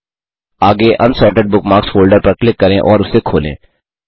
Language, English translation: Hindi, Next, click on and open the Unsorted Bookmarks folder